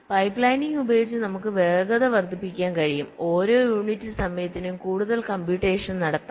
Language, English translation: Malayalam, so by using pipe lining we can have speed up, we can have more computation per unit time